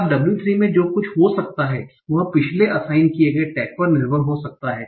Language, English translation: Hindi, Now in W3 what would happen, some of the features might depend on the previous assigned tag